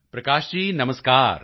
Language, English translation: Punjabi, Prakash ji Namaskar